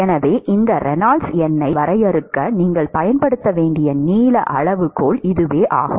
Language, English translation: Tamil, So, that is the length scale that you should use for defining this Reynolds number